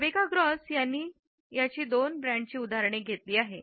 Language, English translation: Marathi, Rebecca Gross has taken examples of two brands